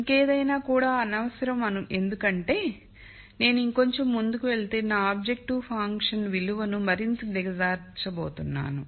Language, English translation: Telugu, Anything more would be unnecessary because if I move little further I am going to make my objective function value worse